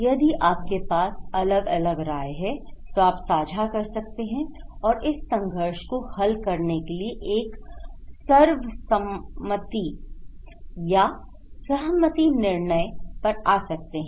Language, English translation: Hindi, If you have different opinions, you can share and you can resolve this conflict and come into consensus or agreed decisions